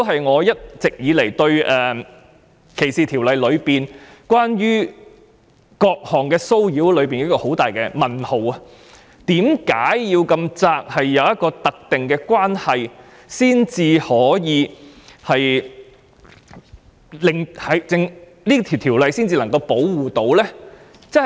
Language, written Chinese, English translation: Cantonese, 我一直對歧視法例內有關各項騷擾的定義存在很大問號，為何法例中的有關定義這麼狹窄，必須存着"特定關係"才能夠保護受害人？, I have always had serious doubt about the definition of different kinds of harassment in the discrimination legislation Why was the definition so narrowly defined in the relevant legislation that the victims will only be protected when a specified relationship is involved?